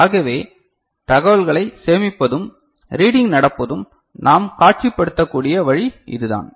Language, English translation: Tamil, So, this is the way we can visualize that storage of information and the reading that is taking place, is it fine